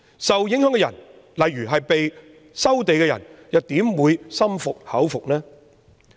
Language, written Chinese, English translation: Cantonese, 受影響人士如被收地的人又怎會心服口服呢？, How will the affected parties such as those who have had their lands resumed readily concede?